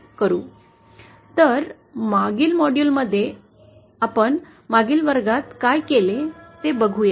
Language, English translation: Marathi, So let us review what we did in the previous class in the previous module